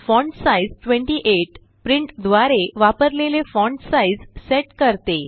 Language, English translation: Marathi, fontsize 28 sets the font size used by print